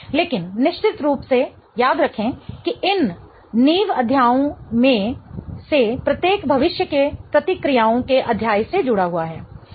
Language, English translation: Hindi, But of course, remember that each one of these foundation chapters is linked to the future chapters of reactions